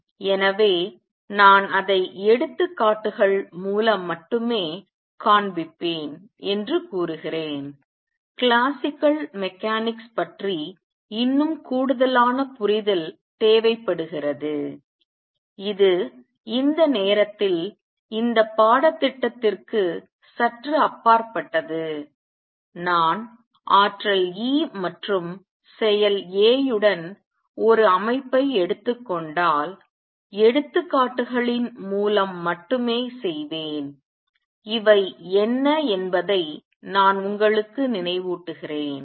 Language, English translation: Tamil, So, I am claiming that I will show it only through examples; more general proof requires little more understanding of classical mechanics which at this time is slightly beyond this course, I will do only through examples that if I take a system with energy E and action A; let me remind you what these are